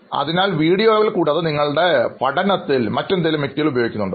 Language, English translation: Malayalam, So other than videos, do you use any other material in your learning activity